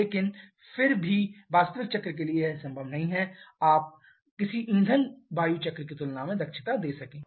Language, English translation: Hindi, But in still it is never possible for the actual cycle to give you efficiency comparable to a fuel air cycle